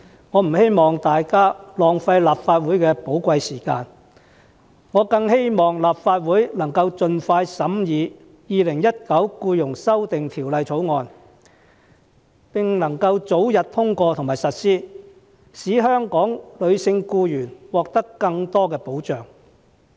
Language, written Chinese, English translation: Cantonese, 我不希望大家浪費立法會的寶貴時間，我反而希望立法會能夠盡快審議《2019年僱傭條例草案》，並使其早日通過和實施，讓香港的女性僱員獲得更多保障。, I hope that Members will not waste the precious time of the Legislative Council . Quite the contrary I hope the Legislative Council will speed up the scrutiny of the Employment Amendment Bill 2019 the Bill for its early passage and implementation so as to give more protection to Hong Kongs female employees